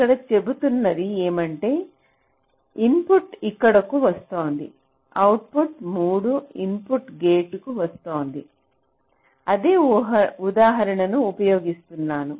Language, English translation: Telugu, so here what you are saying is that the input is coming here, the output is coming to a three input gate